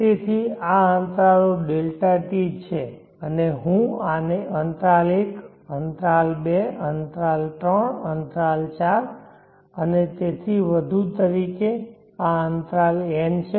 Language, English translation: Gujarati, t and I will this one as interval 1, interval 2, interval 3, interval 4 and so on, this is interval n